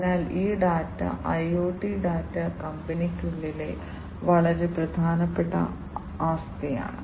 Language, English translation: Malayalam, So, this data the IoT data is very important asset within the company